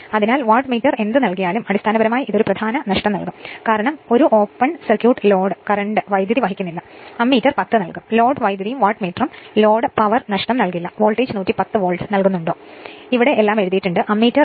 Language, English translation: Malayalam, So, whatever Wattmeter will give, it will basically give you the core loss right that is yourit is the term because an open circuit is carries no load current right and Ammeter will give you the I 0, the no load current and Wattmeter will give you the no load power loss right and this is the voltage you are giving 110 Volt